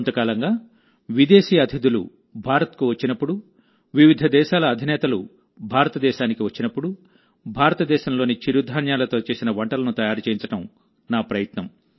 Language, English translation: Telugu, For the last some time, when any foreign guests come to India, when Heads of State comes to India, it is my endeavor to get dishes made from the millets of India, that is, our coarse grains in the banquets